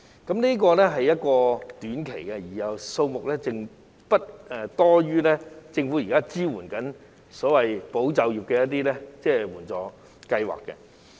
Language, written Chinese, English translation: Cantonese, 該計劃提供短期支援，而數額亦不多於政府現時推行的"保就業"計劃。, The scheme will provide short - term support and will cost less than the amount spent on the Governments current Employment Support Scheme